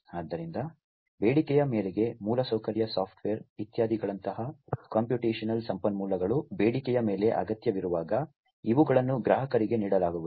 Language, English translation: Kannada, So, on demand whenever computational resources like infrastructure software is etcetera are going to be required on demand, these are going to be offered to the customers